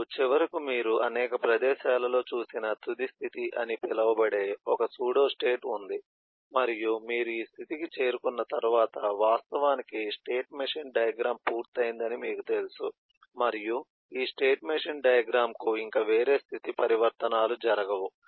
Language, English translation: Telugu, finally, eh the, there is a pseduostate called the final state, which you have already seen in a number of places, and once you reach this state, then you know that the eh state machine diagram has actually come to a conclusion and there is no further state transitions to happen for this state machine diagram